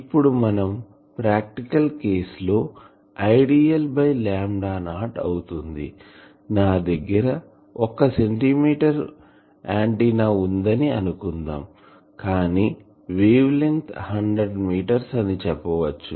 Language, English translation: Telugu, Now, in practical cases if I dl by lambda not a suppose I have a one centimeter antenna, but my wave length is let us say 100 meters etc